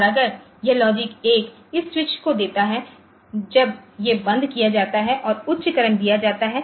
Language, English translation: Hindi, And in case 2 it gives logic one on this switch is closed and high current the servers